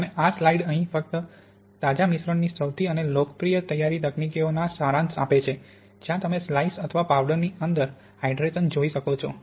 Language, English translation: Gujarati, And this slide here just summarizes the most popular preparation techniques of fresh slice, sorry fresh mix where you can look at the hydration in situ of a slice or a powder